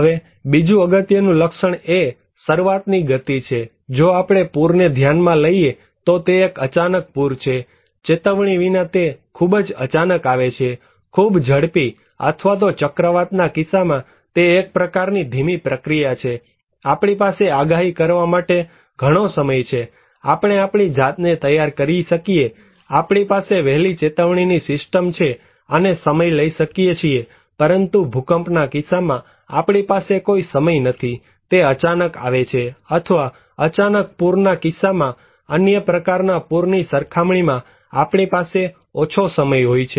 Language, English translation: Gujarati, Now, coming another important feature is the speed of onset like, if we consider a flood, it is a flash flood, it is very sudden without warning, very quick or is it a kind of slow process like in case of cyclone, we have much time to predict so, we have; we can prepare our self, we have better early warning system and we can take time but in case of earthquake, we do not have any time, it is very sudden or in case of flash flood, we have less time also consider to other kind of a flood